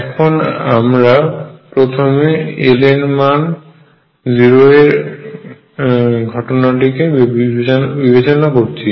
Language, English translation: Bengali, So, let me consider l equals 0 case first